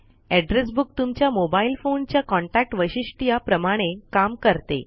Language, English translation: Marathi, An address book works the same way as the Contacts feature in your mobile phone